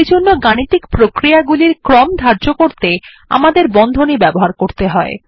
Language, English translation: Bengali, So we have to use Brackets to state the order of operation